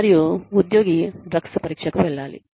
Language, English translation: Telugu, And, the employee, subjected to a drug test